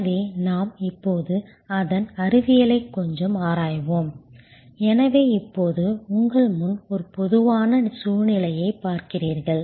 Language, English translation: Tamil, So, we will now look into the science of it a little bit, so you see in front of you now a typical situation